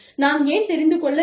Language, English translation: Tamil, Why should we, want to know